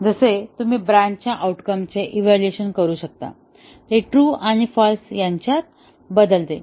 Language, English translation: Marathi, And, as you can evaluate the outcome of the branch toggles between true and false